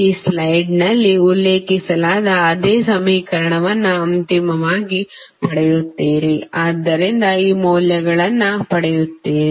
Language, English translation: Kannada, You will eventually get the same equation which is mentioned in this slide, so you will get these values